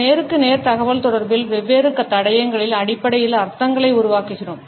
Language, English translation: Tamil, In our face to face communication we make out the meanings on the basis of different clues